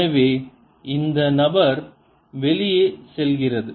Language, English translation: Tamil, so this fellow goes out